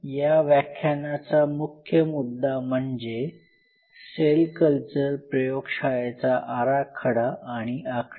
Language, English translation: Marathi, So, the thrust area of this lecture will be mostly layout and design of a cell culture facility